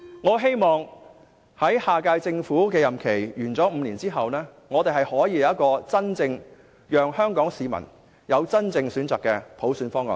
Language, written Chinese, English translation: Cantonese, 我希望下屆政府在5年任期完結後，香港市民能有一個提供真正選擇的普選方案。, And I hope that by the end of the five - year term of the next - term Government Hong Kong people will have a package of proposals for universal suffrage that offers genuine choices for voters